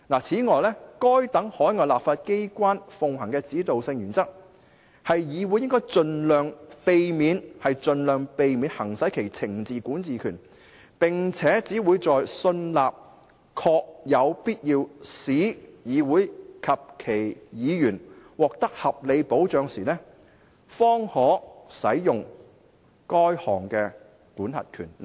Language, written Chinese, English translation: Cantonese, 此外，該等海外立法機關奉行的指導性原則，是議院應盡量避免行使其懲治管治權，並且只會在信納確有必要為使議院及其議員獲得合理的保障時，該項管轄權方可使用。, It is also noted that these overseas legislatures uphold the guiding principle that the House should exercise its penal jurisdiction as sparingly as possible and only when satisfied that it is essential to do so in order to provide reasonable protection for the House and its Members